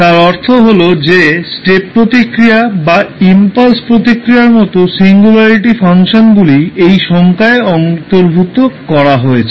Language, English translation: Bengali, That means that the singularity functions like step response or impulse response are incorporated in this particular definition